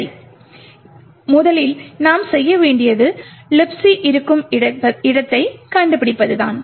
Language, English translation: Tamil, Okay, so the first thing we need to do is find where libc is present